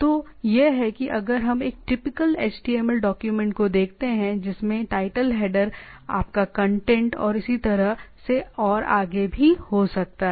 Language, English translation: Hindi, So, this is if we look at it a typical HTML document which have a title header, your contents and so on and so forth